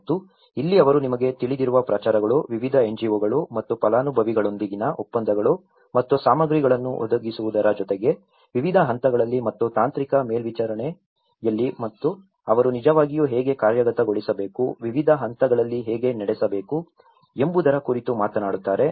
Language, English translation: Kannada, And this is where they talk about the promotions you know, agreements with various NGOs and beneficiaries and as well as the provision of materials as well as how they have to really implement at different stages and technical supervision, how it has to conduct at different stages